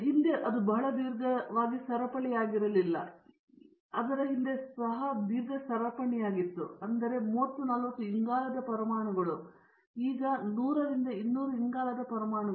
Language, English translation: Kannada, Previously it was not so long a chain, but previously also long chain, but 30 40 carbon atoms, now 100 200 carbon atoms